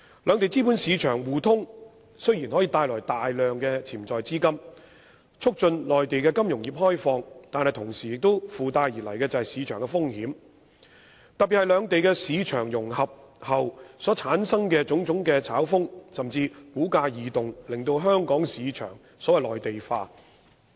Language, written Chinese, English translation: Cantonese, 兩地資本市場互通雖然可帶來大量潛在資金，促進內地金融業開放，但同時附帶而來的是市場風險，特別是兩地市場融合後所產生的種種炒風，甚至是股價異動，令香港市場內地化。, While mutual capital market access between the two places may bring about large amounts of potential funds and facilitate the opening up of the Mainlands financial industry market risk may also ensue . In particular the speculative atmosphere resulting from the market integration between the two places and even the abnormal fluctuations of stock prices may lead to the Mainlandization of Hong Kongs market